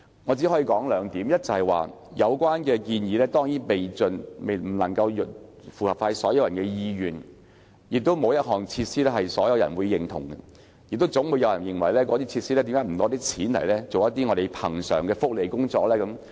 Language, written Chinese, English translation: Cantonese, 我只想提出兩點，第一，有關建議當然不能符合所有人的意願，而且事實上，沒有一項設施能夠取得所有人的認同，總會有人問為何不把興建設施的錢，推行恆常的福利工作。, Firstly the relevant proposal can definitely not meet the wishes of all people . In fact no single facility can get approval from everyone . Some people will definitely ask Why is the money earmarked for the construction of facilities not spent on promoting regular welfare work?